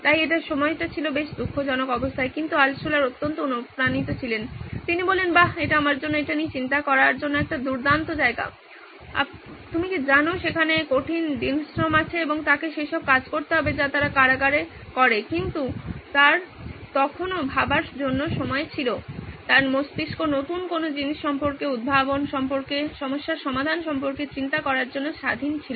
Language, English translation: Bengali, So this was pretty sad state at that time but Altshuller was extremely motivated, he said wow this is a great place for me to think about this you know there is hard days labour and he has to do all that those things that they do in the prison but he still had time to think, his brain was free to think about stuff, about invention, about problem solving